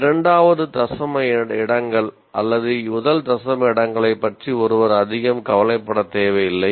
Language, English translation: Tamil, One need not worry very much about the second decimal places or even first decimal places